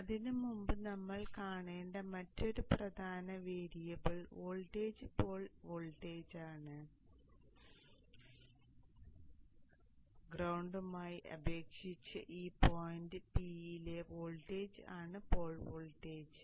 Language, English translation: Malayalam, And before that, the other important variable voltage that we need to see is the pole voltage, the voltage at this point with respect to the ground and then the currents that is the inductor current